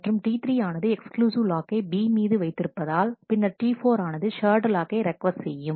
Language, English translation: Tamil, And since T 3 is holding an exclusive lock on B and T 4 is requesting a shared lock